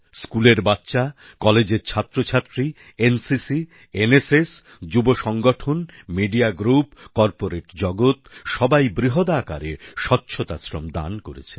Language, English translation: Bengali, School children, college students, NCC, NSS, youth organisations, media groups, the corporate world, all of them offered voluntary cleanliness service on a large scale